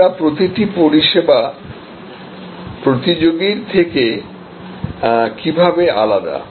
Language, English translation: Bengali, How each of our service products differs from the competitor